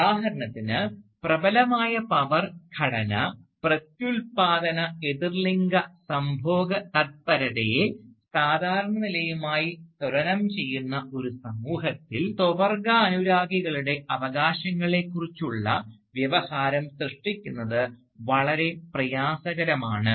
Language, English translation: Malayalam, For instance, in a society, where the dominant power structure equates reproductive heterosexuality with normalcy, it is very difficult, if not all together impossible, to generate discourse regarding the rights of homosexuals